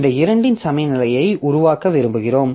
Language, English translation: Tamil, So, we want to make a balance of these two